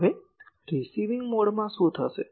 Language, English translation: Gujarati, Now, what will happen in the receiving mode